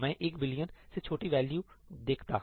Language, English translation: Hindi, So, I should have seen a value less than one billion